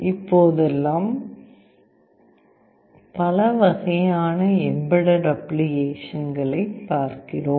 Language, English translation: Tamil, Nowadays we see lot of embedded applications